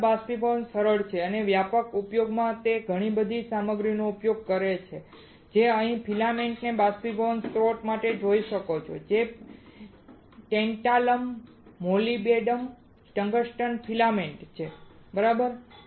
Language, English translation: Gujarati, Thermal evaporator is robust is simple and widespread in use it uses several materials you can see here for filaments to heat evaporation source that is tantalum molybdenum tungsten filaments alright